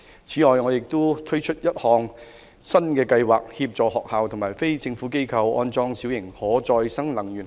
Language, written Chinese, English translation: Cantonese, 此外，我們會推出一項新計劃，協助學校和非政府機構安裝小型可再生能源系統。, In addition we will introduce a new programme to assist schools and non - governmental organizations in installing small - scale renewable energy systems